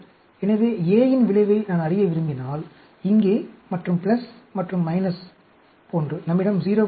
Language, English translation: Tamil, So, if I want to know the effect of A, here, and like plus and minus, we also have 0